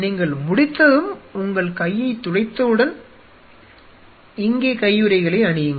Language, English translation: Tamil, And once you are done and your wipe your hand you put on the gloves here